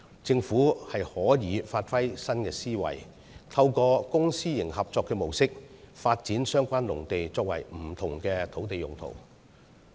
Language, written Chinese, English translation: Cantonese, 政府可以發揮新思維，透過公私營合作模式，發展相關農地作不同的土地用途。, The Government can under a new mindset develop the relevant agricultural land for different land uses through the public - private partnership approach